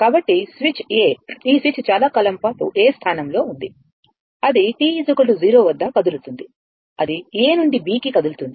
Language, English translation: Telugu, So, the switch A this switch was in a position A for long time after that it ah move at t is equal to 0 it moves from A to B right